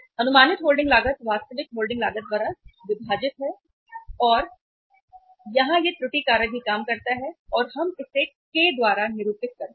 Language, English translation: Hindi, Estimated holding cost divided by actual holding cost right and we also get this error factor worked out and let us denote it by K